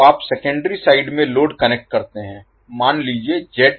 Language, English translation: Hindi, So, if you connect load at the secondary side say Zl